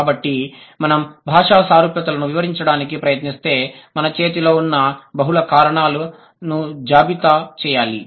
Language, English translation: Telugu, So, if we try to explain cross linguistic similarities, we have to list down the multiple reasons that we have in hand